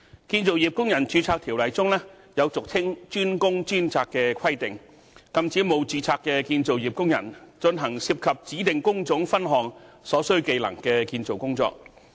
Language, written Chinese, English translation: Cantonese, 《建造業工人註冊條例》中有俗稱"專工專責"的規定，禁止沒有註冊的建造業工人進行涉及指定工種分項所需技能的建造工作。, The designated workers for designated skills DWDS requirement under the Construction Workers Registration Ordinance CWRO forbids workers from carrying out construction work involving skills required by designated trade divisions